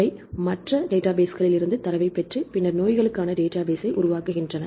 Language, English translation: Tamil, They obtain the data from the other databases and then develop the database for the diseases